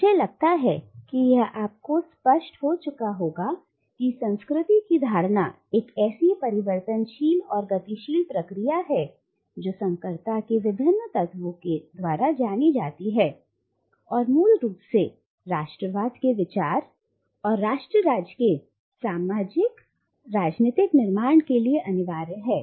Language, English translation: Hindi, Now I think it has already become clear to you that a notion of culture as changeable and dynamic process, characterised by hybridity of various elements, is fundamentally inimical to the idea of nationalism and to the socio political construct of nation state